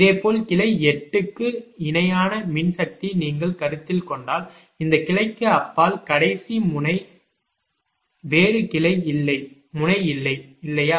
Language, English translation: Tamil, similarly, if you consider the electrical equivalent of branch eight, it is the last node beyond this ah